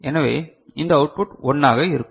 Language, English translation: Tamil, So, this output will be 1